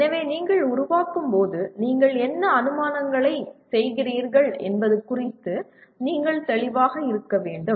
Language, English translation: Tamil, So when you are formulating, you have to be clear about what the assumptions that you are making